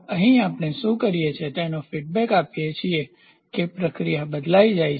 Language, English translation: Gujarati, So, here what we do is we give the feedback the process gets changed